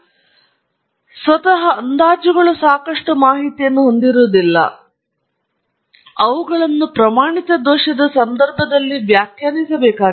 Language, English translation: Kannada, So, the estimates, of course, we can read off; by themselves the estimates do not carry a lot of information, they have to be interpreted in the context of the standard error